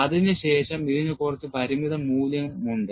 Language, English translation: Malayalam, Then, it has some finite value